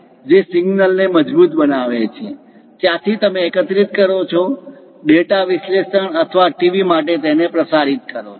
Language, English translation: Gujarati, That strengthens the signal; from there, you collect it, pass it for data analysis or for the TV